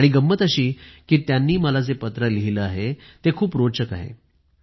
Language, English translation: Marathi, And the best part is, what she has written in this letter is very interesting